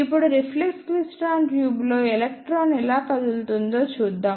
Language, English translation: Telugu, Now, let us see how electron move in reflex klystron tube